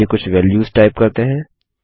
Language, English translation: Hindi, Let us type some values